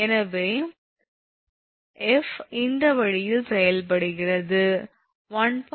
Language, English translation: Tamil, So, in this case F is acting this way 1